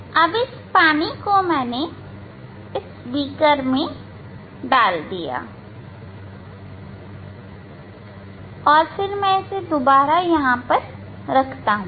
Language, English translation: Hindi, this water I have poured into the beaker and then put once more here, ok